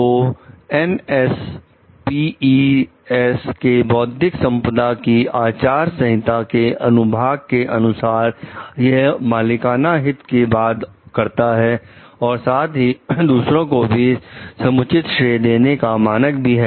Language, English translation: Hindi, So, the section of the NSPE s code of ethics on intellectual property, addresses more than proprietary interest and gave standards for fairly crediting others as well